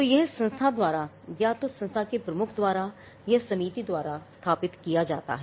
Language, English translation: Hindi, So, it has to be set up by the institution either by the head of the institution or by a committee